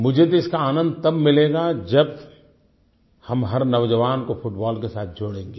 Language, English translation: Hindi, But I personally shall be happy when we are able to link every youth of our country to this game